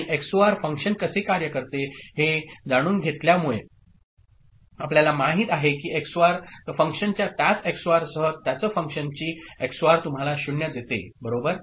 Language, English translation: Marathi, And knowing how XOR function works, XOR of you know XOR of same function with the same XOR of one function with the same function is giving you 0 right